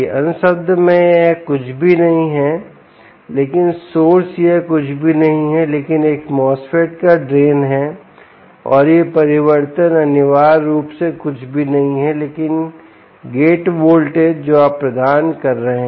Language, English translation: Hindi, in other words, this is nothing but the source, this is nothing but the drain um of a mosfet, and this change, essentially, is nothing but the gate voltage that you are providing